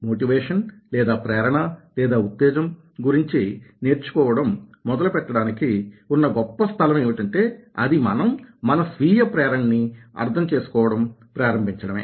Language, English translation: Telugu, a great place to start learning about motivation is to start understanding our own motivation